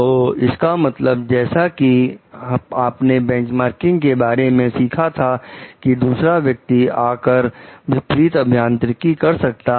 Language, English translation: Hindi, So, one means as you have learnt is benchmarking the other could be the come to do a reverse engineering